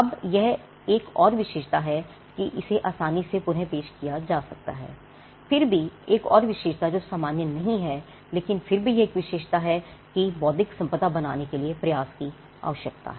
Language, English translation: Hindi, Now this is another trait that it can be reproduced easily, yet another trait which is not common, but nevertheless it is a trait is the fact that it requires effort to create intellectual property